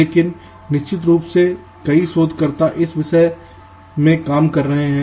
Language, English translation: Hindi, but of course many research us are walking in this direction